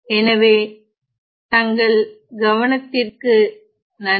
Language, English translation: Tamil, So, thank you for listening